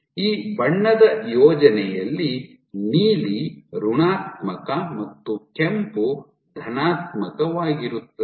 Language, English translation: Kannada, So, in this case in this colour scheme, blue is negative red is positive and max